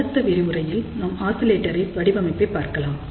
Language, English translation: Tamil, So, in the next lecture, we will look at oscillator design